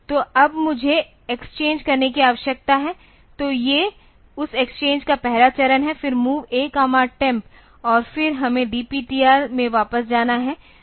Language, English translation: Hindi, So, now, I need to exchange; so, these are first step of that exchange then MOV A comma temp MOV A comma temp and then we have to go back in the DPTR